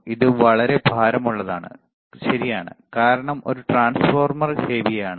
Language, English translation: Malayalam, This is very heavy, right; because there is a transformer heavy, all right